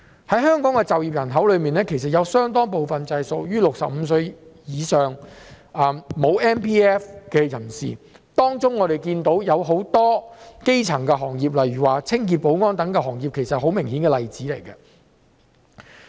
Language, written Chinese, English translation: Cantonese, 在香港的就業人口之中，有相當部分屬於65歲以上而沒有 MPF 的人士，我們看到當中很多從事基層的行業，例如清潔、保安等，這些是十分明顯的例子。, A considerable portion of the employed population in Hong Kong are people aged above 65 who do not have an MPF account . We can see that many of them are engaged in elementary - level jobs such as cleaning and security to name but a few obvious examples